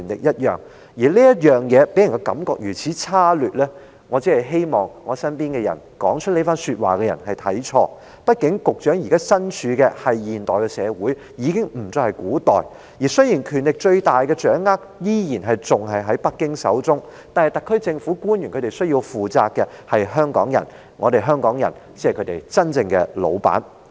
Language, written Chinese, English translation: Cantonese, 他予人如此差劣的感覺，我只希望是在我身邊說出這番話的人看錯，畢竟局長現時身處的不再是古代，而是現代社會，雖然最大權力依然掌握在北京手中，但特區政府官員還須向香港人問責，香港人才是他們真正的老闆。, I only hope that those by my side who made such remarks have made a misjudgment . After all the Secretary is not living in ancient times but in a modern society . Although the supreme power still lies in Beijings hands officials of the SAR Government must still be accountable to Hong Kong people who are their real bosses